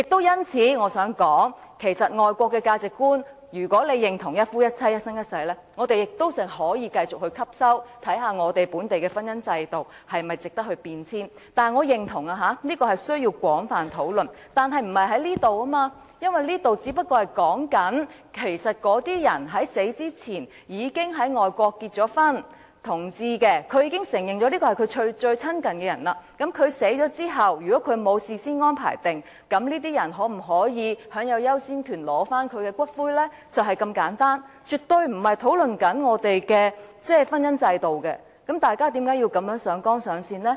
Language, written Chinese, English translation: Cantonese, 因此，我亦想說，即使這是外國的價值觀，如果大家認同一夫一妻，一生一世，我們可以繼續採用，也可以看看本地的婚姻制度是否值得改變；但是，我認同這需要廣泛討論，但不是現在進行，因為現在所說的，只是那些在死前已在外國結婚的同志，他們已承認伴侶是最親近的人，那麼在他們死後，如沒有事先安排，他們的伴侶可否享有優先權取回骨灰，就是如此簡單，絕對不是在討論我們的婚姻制度，大家為何要如此上綱上線呢？, In this connection I wish to say that even though it is a foreign value and if we all agree to monogamy and lifetime marriage we can continue to adopt this system and we can also look into whether any changes are worth making in the marriage institution of Hong Kong . That said I agree that this warrants extensive discussions but we are not here to carry out such discussions because what we are discussing now is just this For LGBTs who had been married overseas before they died and who had recognized their partners as people closest to them can their partners have the priority to claim their ashes after their death and if no prior arrangement has been made? . It is just this simple